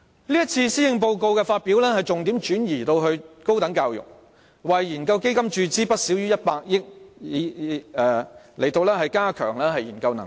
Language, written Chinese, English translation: Cantonese, 這次發表的施政報告把重點轉移至高等教育，為研究基金注資不少於100億元，以加強研究能力。, This Policy Address has shifted the focus to higher education . The Government will inject no less than 10 billion into the Research Endowment Fund to enhance the research capacity